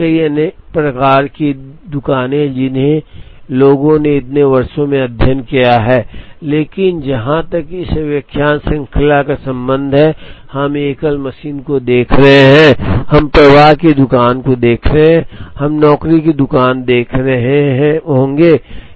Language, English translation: Hindi, So, the and there are many other types of shops, which people have studied over, so many years, but as far as this lecture series is concerned, we would be looking at single machine, we would be looking at flow shop, and we would be looking at job shop